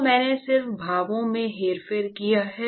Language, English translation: Hindi, And I have just manipulated the expressions